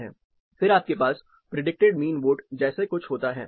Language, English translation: Hindi, Then you have something like predicted mean vote